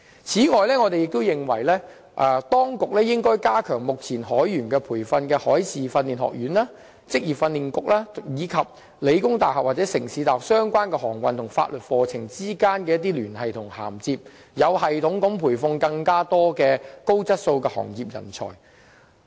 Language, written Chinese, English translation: Cantonese, 此外，我們也認為當局應加強目前提供海員培訓的海事訓練學院、職業訓練局及香港理工大學或香港城市大學之間有關航運和法律課程的聯繫和涵接，有系統地培訓更多高質素的行業人才。, Furthermore we are also of the view that the authorities should put in efforts to strengthen connection and bridging of programmes on maritime studies and maritime law among the Maritime Services Training Institute the Vocational Training Council and The Hong Kong Polytechnic University or the City University of Hong Kong with a view to systematically train up more high - calibre talents for the maritime industry